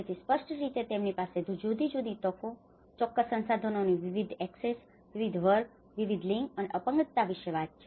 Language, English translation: Gujarati, So, in that way, it obviously talks about different opportunities, different access to certain resources, different class, different gender and the disability